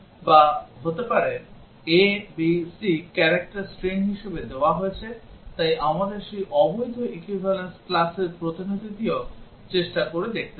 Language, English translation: Bengali, Or may be a, b, c are given as character strings, so we have to try out representative of those invalid equivalence classes as well